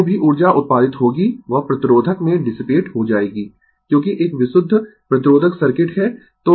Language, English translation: Hindi, Whatever energy you will produce, that will be dissipated in the resistor because, is a pure resistive circuit right